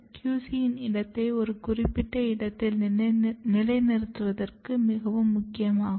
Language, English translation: Tamil, And this is very important to ensure that a position of QC has to be fixed at a particular place